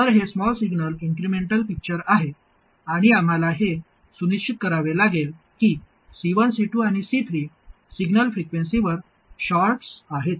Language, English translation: Marathi, So this is the small signal incremental picture and we have to make sure that C1, C2 and C3 are shorts at the signal frequencies